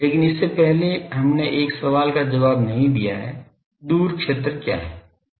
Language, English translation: Hindi, But before that we have not answered one question that is; what is far field